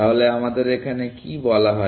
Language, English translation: Bengali, So, what we are said